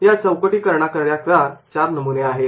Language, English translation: Marathi, For the framing there will be four templates